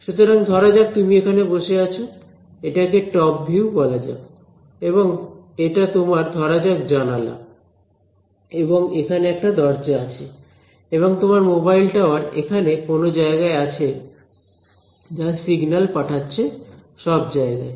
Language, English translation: Bengali, So, let us say you are sitting over here right, so this let us call this a top view and this is your let say this is a window and let us say there is a door over here and your mobile tower is somewhere over here right which is sending out signals everywhere